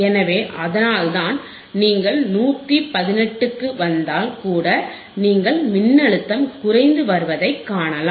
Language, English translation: Tamil, So, that is why you will see that even you come to 115 ah, 118 you can still see that voltage is decreasing